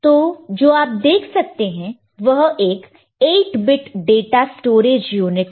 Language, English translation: Hindi, So, this is what you can see that an 8 bit data storage unit